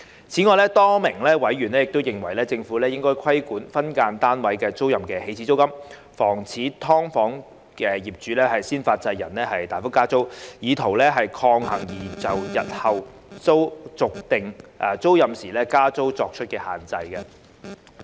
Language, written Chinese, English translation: Cantonese, 此外，多名委員亦認為政府應規管分間單位租賃的"起始租金"，防止"劏房"業主"先發制人"大幅加租，以圖抗衡擬就日後續訂租賃時加租作出的限制。, In addition a number of members consider that the Administration should regulate the initial rent in SDU tenancies in order to prevent SDU landlords from massively increasing the rent pre - emptively in an attempt to counteract any proposed restrictions on future rent increase upon tenancy renewal